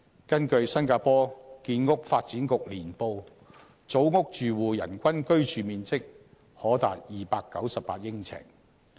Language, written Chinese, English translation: Cantonese, 根據新加坡建屋發展局年報，組屋住戶人均居住面積可達298呎。, According to the annual report of the Housing and Development Board HDB of Singapore the average living space per person for HDB households can be as much as 298 sq ft